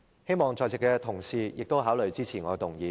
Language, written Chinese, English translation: Cantonese, 希望在席的同事亦考慮支持我的修正案。, I hope that Members present will also consider supporting my amendment